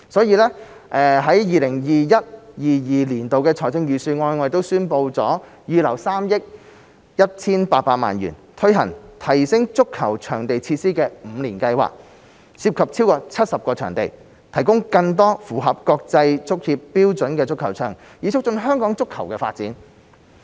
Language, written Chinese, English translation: Cantonese, 因此 ，2021-2022 年度財政預算案宣布預留3億 1,800 萬元，推行提升足球場設施五年計劃，涉及超過70個場地，提供更多符合國際足協標準的足球場，以促進香港足球發展。, Therefore the 2021 - 2022 Budget announced that 318 million would be earmarked to implement a five - year plan for upgrading over 70 football pitches and increasing the number of football pitches meeting FIFAs international standards so as to facilitate the development of football in Hong Kong